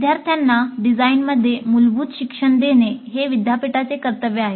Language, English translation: Marathi, It is the university's obligation to give students fundamental education in design